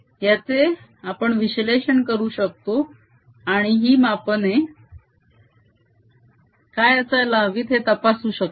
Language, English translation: Marathi, one can analyze this and check what these readings should be